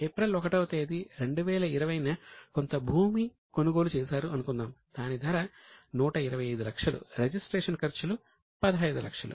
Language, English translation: Telugu, The cost of land purchased on 1st April 2020 is 125 lakhs and registration charges are 15 lakhs